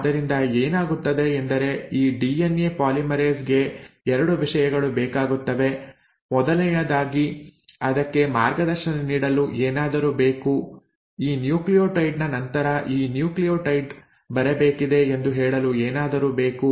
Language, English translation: Kannada, So what happens is this DNA polymerase needs 2 things, first and the foremost it needs something to guide it, something to tell it that after this nucleotide this nucleotide has to come